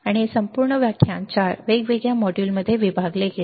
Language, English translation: Marathi, And this whole entire lecture was divided into 4 different modules